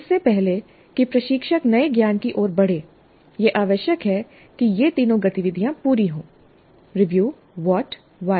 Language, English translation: Hindi, Before the instructor moves on to the new knowledge, it is essential that all these three activities are completed